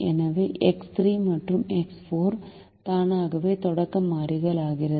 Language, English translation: Tamil, so x three and x four are automatically become the starting variables